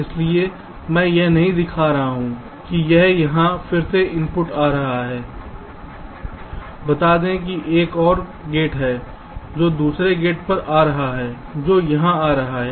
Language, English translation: Hindi, again, here lets say there is another gate which is coming to another gate which is coming here